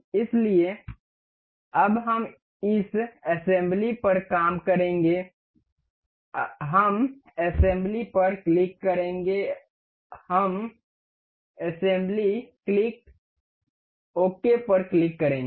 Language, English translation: Hindi, So, now we will be working on this assembly we click on assembly, we click on assembly click ok